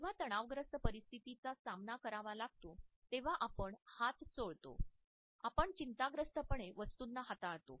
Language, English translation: Marathi, When faced with stressful situations, we wring our hands we nervously ply objects